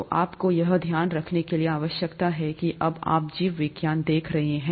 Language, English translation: Hindi, So, you need to keep this in mind when you are looking at biology